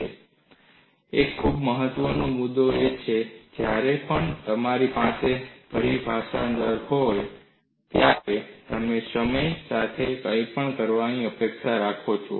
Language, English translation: Gujarati, And a very important point to note is, whenever you have the terminology rate, you expect something to do with time